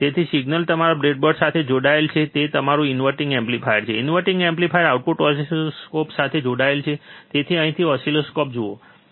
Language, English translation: Gujarati, So, signal is connected to your breadboard, it is your inverting amplifier, inverting amplifier output is connected back to the oscilloscope so, from here to oscilloscope